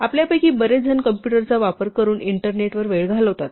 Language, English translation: Marathi, And finally, most of us spend a time using a computer actually working with the internet